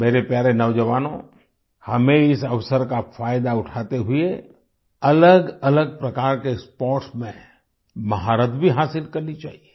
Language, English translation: Hindi, My dear young friends, taking advantage of this opportunity, we must garner expertise in a variety of sports